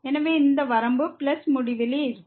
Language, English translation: Tamil, So, this limit will be also plus infinity